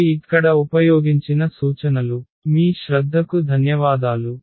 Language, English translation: Telugu, So, these are the references used here and thank you for your attention